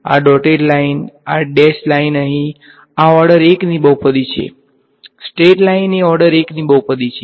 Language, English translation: Gujarati, This dotted line this dash line over here, this is a polynomial of order 1 straight line is polynomial of order 1